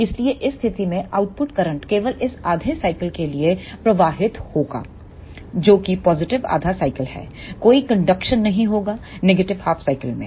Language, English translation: Hindi, So, in this case the output current will flow only for this half cycle that is positive half cycle, there will not be any conduction in the negative half cycle